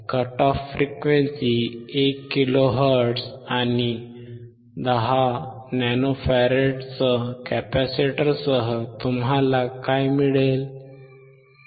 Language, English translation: Marathi, With a cut off frequency given as 1 kilohertz and a capacitor of 10 nano farad what you will get